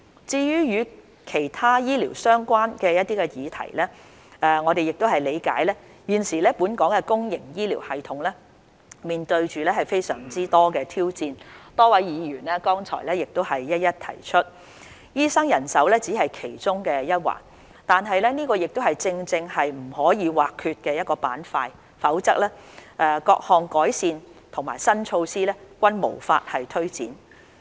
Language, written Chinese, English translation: Cantonese, 至於與其他醫療相關的議題，我們理解現時本港的公營醫療系統面對非常多的挑戰，多位議員剛才亦一一提出，醫生人手只是其中一環，但這正正是不可或缺的板塊，否則各項改善和新措施均無法推展。, For other healthcare - related matters we understand that the public healthcare system in Hong Kong is facing many challenges as many Members have just mentioned and the supply of doctors is only one of them . But this is exactly what is needed otherwise improvements and new measures could not be implemented